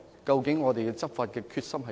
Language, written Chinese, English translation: Cantonese, 究竟我們執法的決心如何？, How determined are we in taking enforcement action?